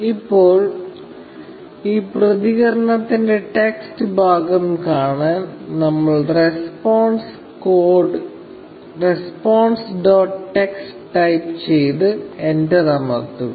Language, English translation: Malayalam, Now, to see the text part of this response, we type response dot text, and press enter